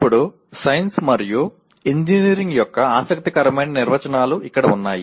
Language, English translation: Telugu, Now, here is an interesting definitions of Science and Engineering